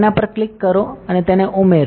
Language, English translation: Gujarati, Click on it and add it